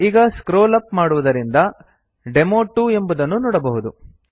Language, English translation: Kannada, We scroll up as you can see here is demo2